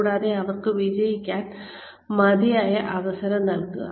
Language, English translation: Malayalam, And, give them enough opportunity, to succeed